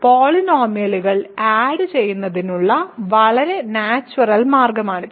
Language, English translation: Malayalam, So, this is a very natural way to add polynomials